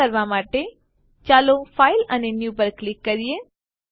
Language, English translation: Gujarati, To do this Lets select on File and New